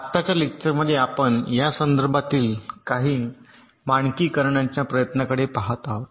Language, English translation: Marathi, now, in the correct lecture, we shall be looking at some of this standardization effort in this regard